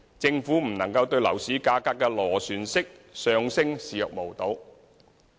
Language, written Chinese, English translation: Cantonese, 政府不能對樓市價格的螺旋式上升視若無睹。, For this reason the Government cannot turn a blind eye to the upward spiral in property prices